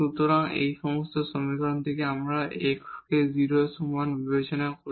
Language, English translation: Bengali, So, for example, we said here we take here x is equal to 0